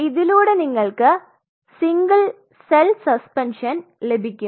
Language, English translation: Malayalam, So, what you are getting our single cell suspension